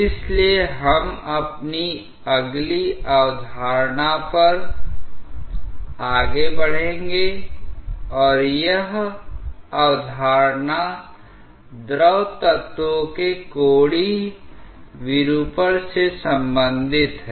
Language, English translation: Hindi, So, we will move on to our next concept and that concept is related to the angular deformation of the fluid elements